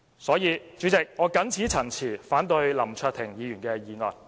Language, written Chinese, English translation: Cantonese, 所以，主席，我謹此陳辭，反對林卓廷議員的議案。, With these remarks President I oppose Mr LAM Cheuk - tings motion